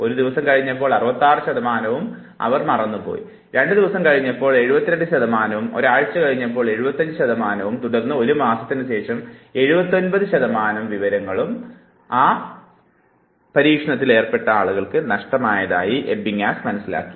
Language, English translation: Malayalam, After 1 day we have 66 percent, 2 days 72 percent, 7 days 75 percent and after 1 month we have loss of 79 percent of information